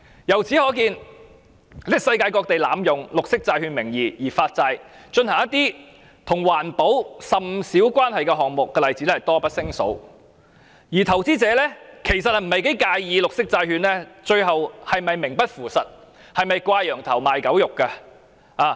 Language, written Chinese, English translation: Cantonese, 由此可見，世界各地濫用綠色債券名義來發債，以進行一些跟環保甚少關係的項目的例子多不勝數，而投資者其實並不太介意綠色債券最後是否名不副實、是否掛羊頭賣狗肉。, It is thus evident that there are countless cases around the world of abusing the name of green bond to undertake projects hardly relevant to environmental protection . Investors actually do not mind whether a green bond will turn out to be in name but not in fact or whether it is crying up wine and selling vinegar